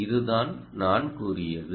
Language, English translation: Tamil, yes, this is the point